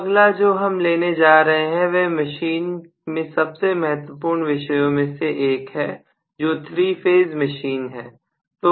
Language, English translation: Hindi, So the next one that we are going to take up is one of the most important topics in the machine that is 3 phase induction machines